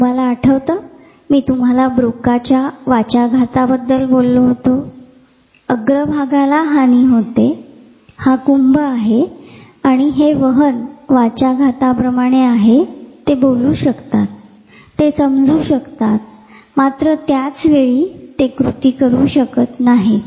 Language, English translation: Marathi, You remember, I talked about the Broca's aphasia damage to the frontal area this is the temporal and this is like a conduction aphasia they can speak, they can understand, they cannot do it at the same time